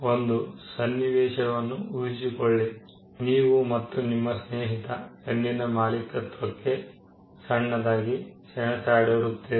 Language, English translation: Kannada, Assume a scenario, where you and your friend have a small tussle with an ownership of a pen